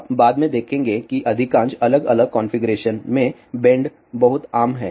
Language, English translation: Hindi, You will see later on that bends are very very common in most of the different configuration